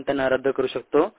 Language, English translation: Marathi, we can cancel them out